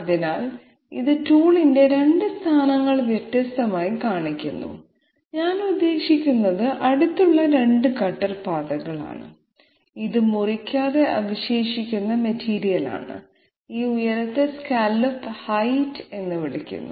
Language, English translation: Malayalam, So this shows two positions of the tool along two different I mean two adjacent cutter paths and this is the material which is leftover uncut and this height is called as scallop height